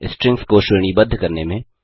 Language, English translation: Hindi, Define strings in different ways